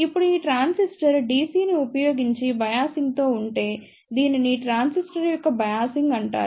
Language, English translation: Telugu, Now, if this transistor is biased using DC, then this is known as the Biasing of the transistor